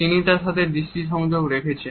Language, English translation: Bengali, He holds eye contact with her